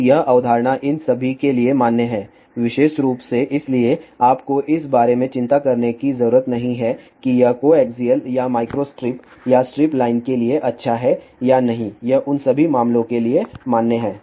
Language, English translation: Hindi, So, this concept is valid for all of these particular thing so you do not have to worry about whether it is good for coaxial or micro strip or strip line it is valid for all those cases